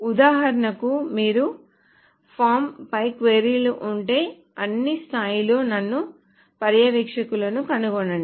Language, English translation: Telugu, So for example, if you have queries of the form, find me supervisors at all levels